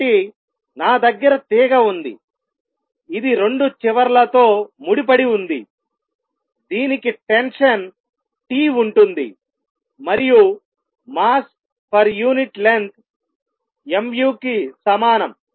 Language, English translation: Telugu, So, I have a string which is tied at 2 ends it has tension T and mass per unit length equals mu